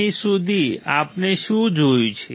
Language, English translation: Gujarati, Here what we have seen until here